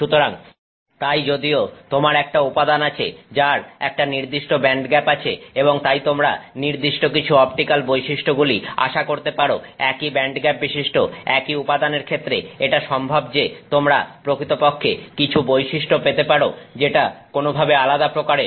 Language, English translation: Bengali, So even if you have a material with a certain band gap and therefore you expect a certain type of optical property, is it possible that with the same material with that same band gap you can get actually properties that look somewhat different